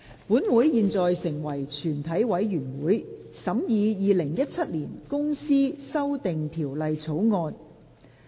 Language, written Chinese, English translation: Cantonese, 本會現在成為全體委員會，審議《2017年公司條例草案》。, Council now becomes committee of the whole Council to consider the Companies Amendment Bill 2017